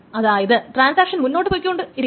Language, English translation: Malayalam, So, we will continue with the transactions